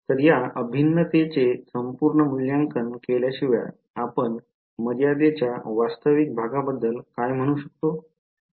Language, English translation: Marathi, So, without doing evaluating this integral completely what can you say about the real part in the limit